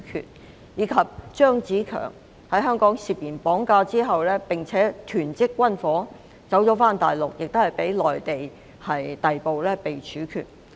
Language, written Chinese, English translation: Cantonese, 另外一人是張子強，他在香港涉嫌綁架及囤積軍火，逃到大陸後同樣被內地逮捕和處決。, Another case involved CHEUNG Tze - keung who was suspected of kidnapping and hoarding ammunition in Hong Kong . He was similarly arrested and executed after fleeing to the Mainland